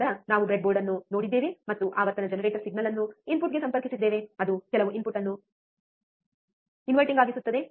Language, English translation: Kannada, Then we have seen a breadboard, and we have connected the frequency generator the signal to the input which is inverting some input